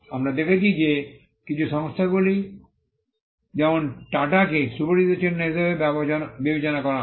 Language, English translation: Bengali, We have seen that some conglomerates like, TATA are regarded as well known marks